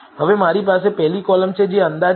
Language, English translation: Gujarati, Now I have the first column which is estimate